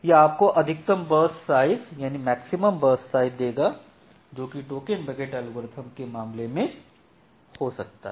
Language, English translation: Hindi, So, this will give you the maximum burst size that can happen in case of a token bucket algorithm